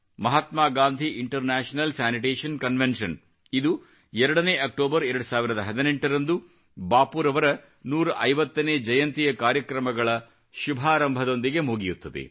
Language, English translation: Kannada, Mahatma Gandhi International Sanitation Convention will conclude on 2nd October, 2018 with the commencement of Bapu's 150th Birth Anniversary celebrations